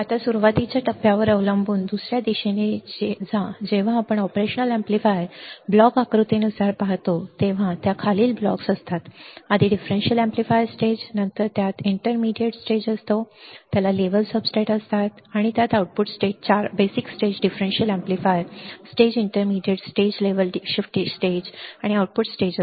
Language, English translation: Marathi, Go to the other direction depending on the initial stage now when we see the operation amplifier according the block diagram according to block diagram of the operation amplifier it has following blocks first is the differential amplifier stage, then it has intermediate stage it has a level substrates and it has a output stage 4 basic stages differential amplifier stage intermediate stage level shifter stage and output stage